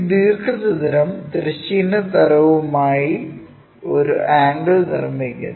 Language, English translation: Malayalam, And this rectangle is making an angle with horizontal plane